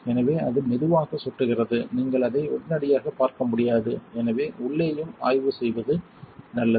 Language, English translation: Tamil, So, it drips on slowly you may not see it immediately, so it is always good to inspect the inside as well